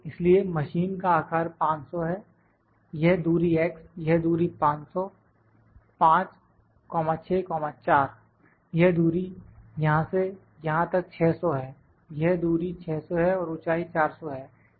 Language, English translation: Hindi, So, the size of the machine is 500 this distance x distance, x distance this distance is 500 5, 6, 4; this distance is 600 from here to here, this distance is 600 and the height is 400